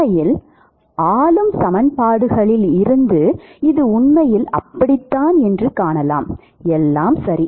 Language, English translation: Tamil, In fact, the governing equations will, it will fallout from the governing equations that this is really the case; all right